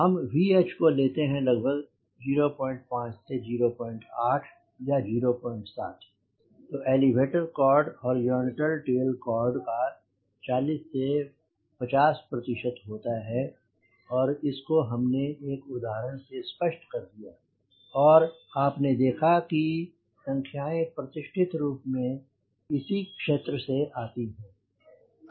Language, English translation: Hindi, h around point five to point eight or point seven, then elevator chord around forty percent to fifty percent of horizontal tail chord, and you have demonstrated one example and you see that the numbers classically also comes within this domain